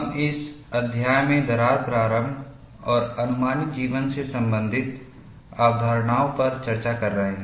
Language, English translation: Hindi, We have been discussing concepts related to crack initiation and life estimation in this chapter